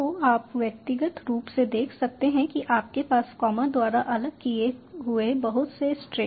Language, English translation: Hindi, you have various strings separated by comma